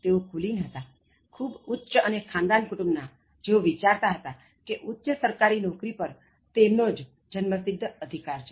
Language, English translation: Gujarati, They were aristocrats, so belonging to very high and royal family, so who thought it was their birthright to be in the highest government post